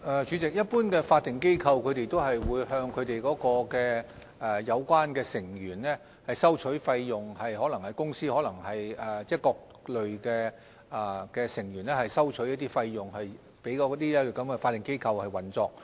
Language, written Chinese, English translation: Cantonese, 主席，一般的法定機構都會向相關成員收取費用，可能是公司向各類成員收取費用給法定機構運作。, President generally statutory bodies will collect fees from their members . They will collect fees from some companies or different types of members for their operation